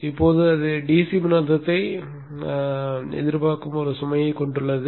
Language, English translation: Tamil, Then it contains a load which expects a DC voltage